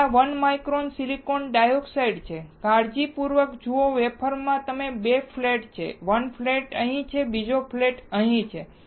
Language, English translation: Gujarati, This is 1 micron silicon dioxide, carefully look at the wafer it has 2 flats, 1 flat is here, second flat is here